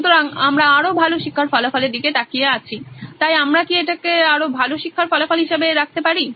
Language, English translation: Bengali, So, we are looking at better learning outcome, so can we put that down as better learning outcome